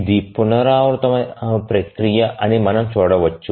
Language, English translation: Telugu, So, as you can see that this is a iterative process